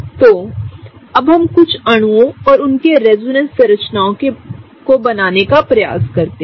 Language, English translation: Hindi, So, now let us draw a couple of molecules and their resonance structures